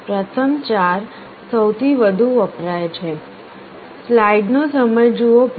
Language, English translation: Gujarati, The first four are most commonly used